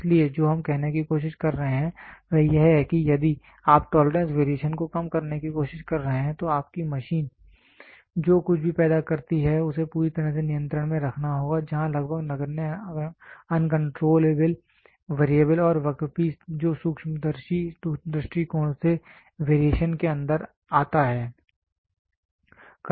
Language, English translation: Hindi, So, what we are trying to say is we are trying to say that if you are trying to reduce the tolerance variation then your machine whatever produces machine whatever produces the part there has to be completely under control where there has to be almost negligible uncontrollable variable and the work piece which comes inside variation from the microscopical point of view